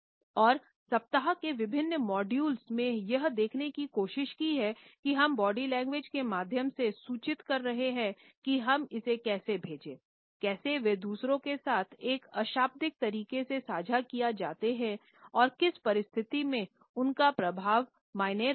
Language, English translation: Hindi, Over the weeks in different modules I have try to look at different messages which are communicated through our body language how we do send it; how they are shared in a nonverbal manner with others and under what circumstances their impact matters